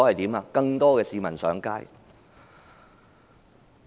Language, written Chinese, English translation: Cantonese, 就是有更多市民上街。, More people took to the streets